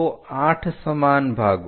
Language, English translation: Gujarati, So, 8 equal parts